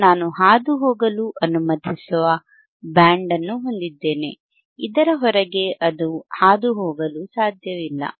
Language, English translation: Kannada, I have a band which allowing to pass, outside this it cannot pass